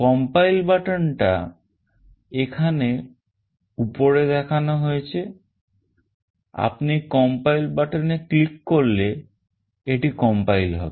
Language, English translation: Bengali, The compile button is shown here at the top; you click on the compile button and then it will compile